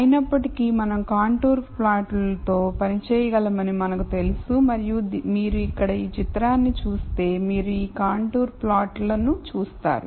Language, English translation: Telugu, However, we know that we can work with contour plots and if you look at this picture here, you see these contour plots